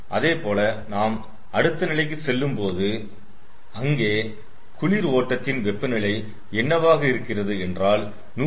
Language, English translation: Tamil, similarly, if we go to the next level, what we will, that one other temperature for the cold stream is a hundred degree celsius